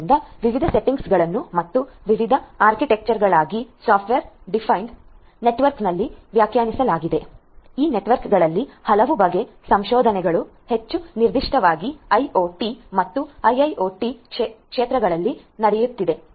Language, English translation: Kannada, So, software defined networks for different different settings different different architectures are all there a lot of research work is going on catering to software defined networks of all different sorts and more specifically for IoT and a IIoT